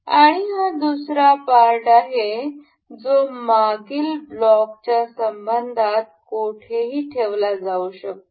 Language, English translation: Marathi, And this is the second part that can be placed anywhere in relation to the previous block